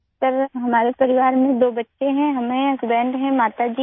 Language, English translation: Urdu, Sir, there are two children in our family, I'm there, husband is there; my mother is there